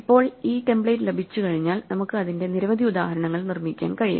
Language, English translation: Malayalam, Now once we have this template we can construct many instances of it